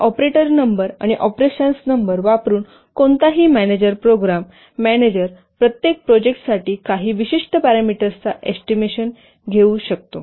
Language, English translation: Marathi, So by using the number of operators and the number of operands, any manager program manager can estimate certain parameters for his project